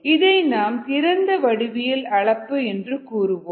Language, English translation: Tamil, this is called an open ended geometry of measurement ah